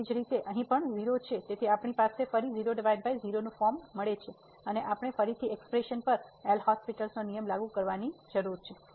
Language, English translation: Gujarati, Similarly, here also 0 so, we have again 0 by 0 form and we need to apply the L’Hospital rule to this expression once again